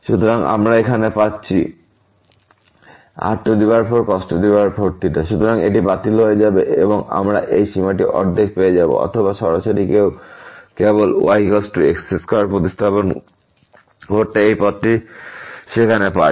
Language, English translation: Bengali, So, this will get cancel and we will get this limit half or directly one can see just substituting is equal to square there taking this path